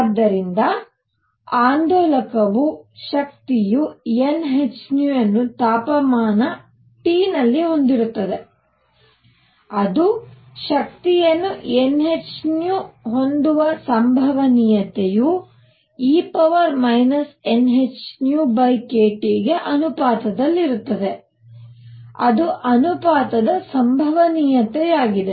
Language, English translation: Kannada, So, suppose an oscillator has energy n h nu and at temperature T, the probability of it having energy n h nu is proportional to e raised to minus n h nu over k T; that is the probability proportional to